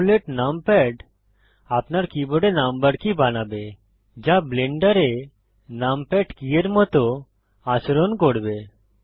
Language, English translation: Bengali, Emulate numpad will make the number keys on your keyboard behave like the numpad keys in Blender